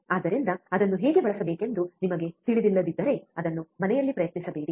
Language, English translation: Kannada, So, if you do not know how to use it, do not try it at home